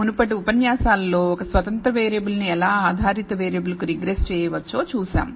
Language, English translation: Telugu, In the preceding lectures we saw how to regress a single independent variable to a dependent variable